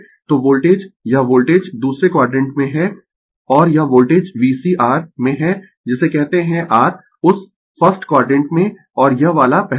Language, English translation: Hindi, So, voltage this this voltage is in the second quadrant and this voltage V C is in the your what you call ah your in that 1st quadrant and this one is first